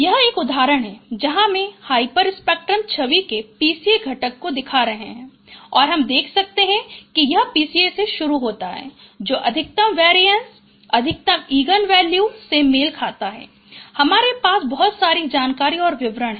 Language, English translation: Hindi, This is one example where I am showing that PCA components of a hyper spectral image and you can see that it starts from this, this is the PCA which is having which is corresponds to the maximum variance, maximum eigenvalue